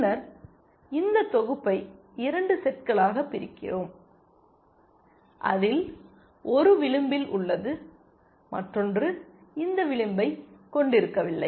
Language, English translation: Tamil, And then, we partition this set into 2 sets one which contain one edge, and the other which did not contain this edge